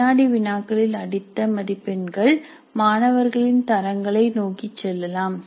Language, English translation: Tamil, The quizzes, the mars scored in the quizzes can go towards the grades of the students